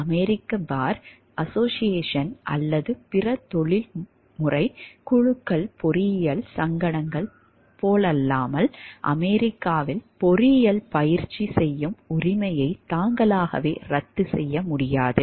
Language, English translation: Tamil, Unlike the American bar association or other professional groups engineering societies cannot by themselves revoke the right to practice engineering in the United States